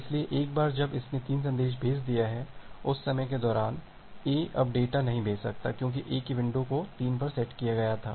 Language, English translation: Hindi, So, once it is it has sent 3 message, during that time, A cannot send anymore data because A’s sending window was set to 3